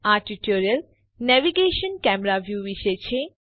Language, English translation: Gujarati, This tutorial is about Navigation – Camera view